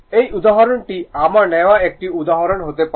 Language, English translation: Bengali, This example this can be example I have taken